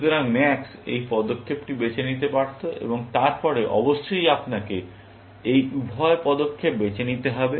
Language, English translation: Bengali, So, max could have chosen this move, and then, of course, you have to choose both these moves